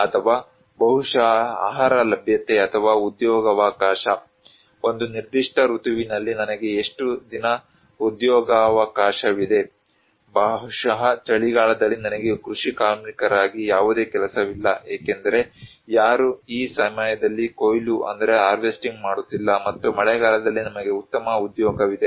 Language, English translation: Kannada, Or maybe the food availability or employment opportunity, how many days I have employment opportunity in a particular season, maybe in winter I do not have any job in as agricultural labor because nobody is harvesting this time and we have better job during rainy days